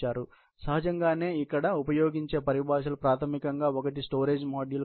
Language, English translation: Telugu, Obviously, the terminologies, which are used here is basically, one is the storage modules